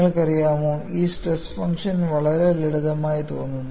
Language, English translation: Malayalam, You know, this stress function looks very, very simple